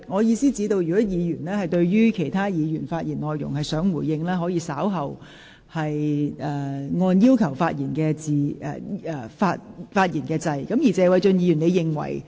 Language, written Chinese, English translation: Cantonese, 如果議員擬回應其他議員的發言內容，可先按下"要求發言"按鈕，稍後輪到他發言時才回應。, Members who wish to respond to the speech of another Member will please press the Request to speak button and do so when it comes to their turn to speak